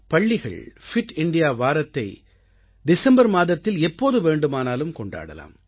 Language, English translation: Tamil, Schools can celebrate 'Fit India week' anytime during the month of December